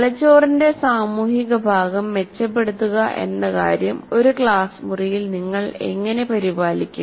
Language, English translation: Malayalam, And how does it, in a classroom, the social part of the brain the improving the social part of the brain, how do you take care of it